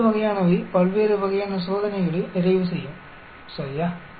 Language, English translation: Tamil, That sort of will complete the various types of test,ok